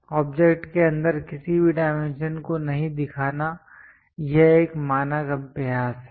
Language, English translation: Hindi, It is a standard practice not to show any dimension inside the object